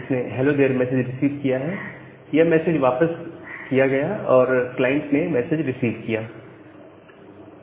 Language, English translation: Hindi, So, it has received this hello there message, it has got it back and the client has received that message